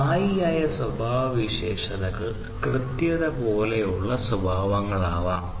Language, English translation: Malayalam, So, these static characteristics could be characteristics such as accuracy